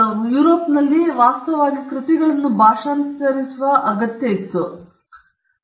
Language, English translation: Kannada, And in Europe, this actually lead to the need to translate works